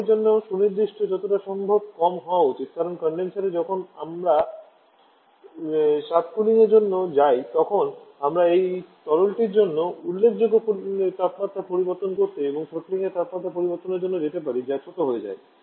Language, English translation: Bengali, Specific for liquid should be as low as possible because during in the condenser when we go for subcooling then we can go for significant temperature change for this liquid and throttling temperature changing throttling that becomes smaller